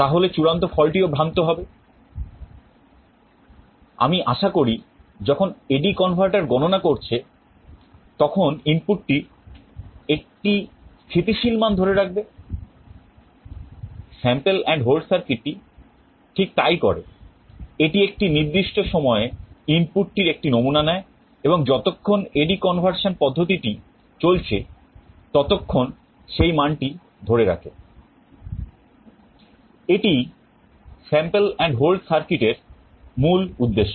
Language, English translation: Bengali, The sample and hold circuit does just that; it samples the input at a particular time and holds it to that value while A/D conversion is in process